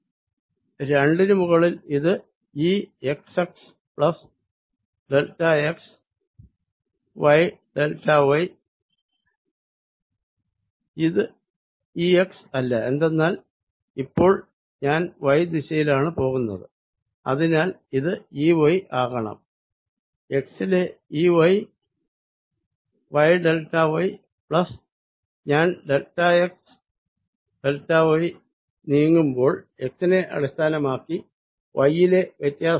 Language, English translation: Malayalam, its not e x, because now i am going in the y direction, so it should be e, y, which i can write as e, y at x, y, delta y plus change in y with respect to x by the time i move delta x, delta y